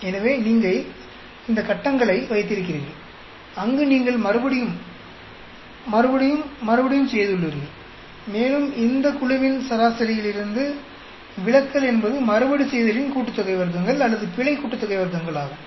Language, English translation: Tamil, So you have this box where you have repeated, repeated, repeated, and the deviation from the mean of this each group is the repeat sum of squares or error sum of squares